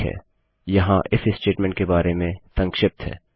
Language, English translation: Hindi, Okay, here is a brief about the IF statement